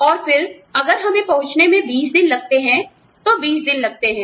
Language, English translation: Hindi, And then, if it takes 20 days to reach us, it takes 20 days